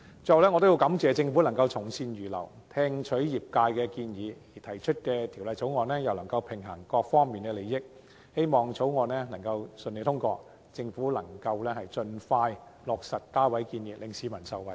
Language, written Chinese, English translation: Cantonese, 最後，我要感謝政府從善如流，聽取業界的建議，提出的《條例草案》又能夠平衡各方面的利益，我亦希望《條例草案》能夠順利通過，政府也能盡快落實加位建議，讓市民受惠。, Lastly I would like to thank the Government for accepting good advice and heeding the trades proposals . The Bill it introduced can strike a balance amongst the interests of all parties . I also hope that the Bill can be passed smoothly and the Government can take forward the proposal of increasing the seating capacity of PLBs so as to benefit members of the public